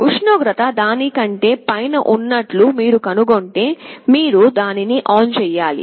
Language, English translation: Telugu, If you find that the temperature is falling below it, you should turn on the heater